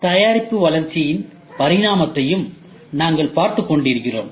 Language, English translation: Tamil, We were also looking at evolution of product development